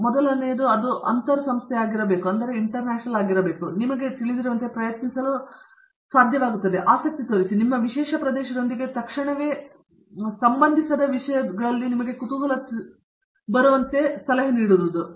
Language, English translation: Kannada, So, first advise is to be much more interdisciplinary and being able to try to like you know, show interest as well as like you know curiosity in subjects that are not immediately related to yours specialized area